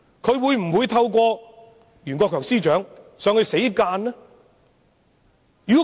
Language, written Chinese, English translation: Cantonese, 她會否透過袁國強司長向內地作出死諫？, Will she admonish the Mainland at all costs through the Secretary for Justice Rimsky YUEN?